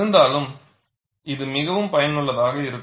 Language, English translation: Tamil, Nevertheless, this is very useful